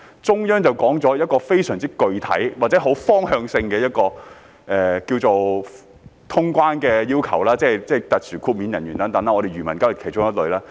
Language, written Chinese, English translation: Cantonese, 中央已提出一個非常具體或很方向性的通關要求，關乎特殊豁免人員等，而漁民當然是其中一類。, The Central Authorities have put forward very specific conditions or directional requirements for the resumption of cross - boundary travel in respect of specially exempted persons etc and fishermen certainly belong to one of the categories